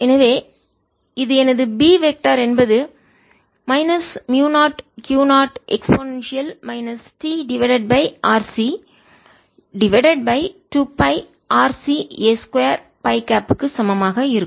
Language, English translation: Tamil, so this is my b vector is minus mu zero, q, zero e to the power minus t by r c, divided by two pi r c, a square phi cap